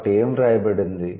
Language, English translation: Telugu, So, what is it written